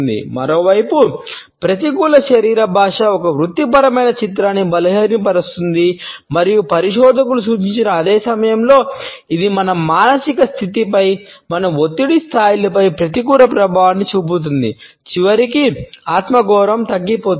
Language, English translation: Telugu, On the other hand negative body language impairs a professional image and at the same time as researchers have pointed, it leaves a negative impact on our mood, on our stress levels, ultimately resulting in the diminishing self esteem